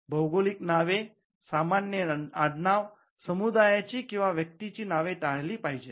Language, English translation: Marathi, Geographical names, common surnames, names of community or persons should be avoided